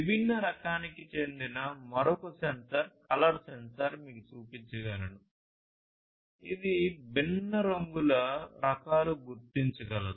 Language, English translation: Telugu, This is basically the color sensor; it can detect colors, different types of colors